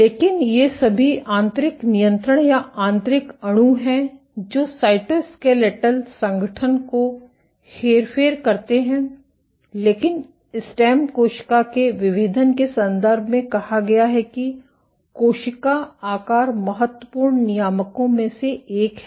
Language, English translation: Hindi, But these are all internal controls or internal molecules which will alter cytoskeletal organization, but in the context of stem cell differentiation has said that cell shape is one of the important regulators